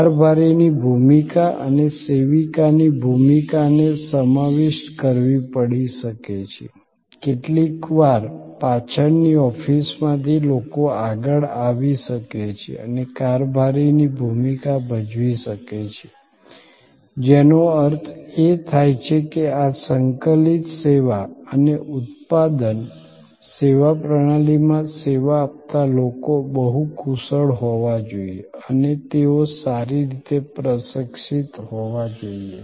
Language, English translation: Gujarati, The role of the steward and the role of the server may have to be merged, sometimes the people from the back office may come forward and perform the role of the steward, which means that in many of this integrated service and production, servuction system, people will have to be, the service people will have to be multi skilled and they have to be well trained